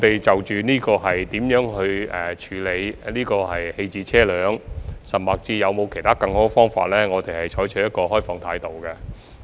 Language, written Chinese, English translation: Cantonese, 就如何處理棄置車輛，甚或有否其他更好的方法，我們採取開放態度。, Regarding how to dispose of abandoned vehicles or whether there are other better ways we keep an open mind